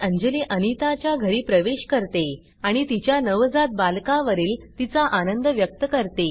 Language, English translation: Marathi, Anjali enters Anitas house and expresses her happiness on her newborn child